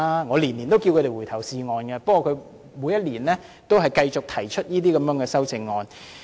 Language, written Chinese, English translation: Cantonese, 我每年也請他們回頭是岸，不過他們每年也繼續提出這些修正案。, In fact I tell them to mend their ways every year but they still keep on proposing amendments of this sort